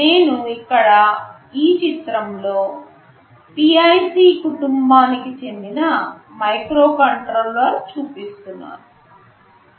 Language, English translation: Telugu, You see here I have shown a picture of a microcontroller that belongs to the PIC family